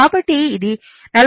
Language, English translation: Telugu, So, it is 43